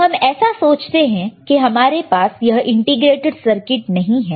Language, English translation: Hindi, So, how we will let us say we do not have this integrated circuits